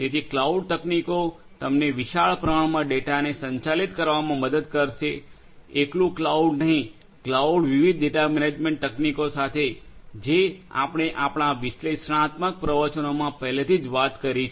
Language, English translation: Gujarati, So, cloud technology will help you to handle huge volumes of data to handle huge volumes of data; not cloud alone, cloud with different other data management techniques like the ones that we have already spoken in our analytics lectures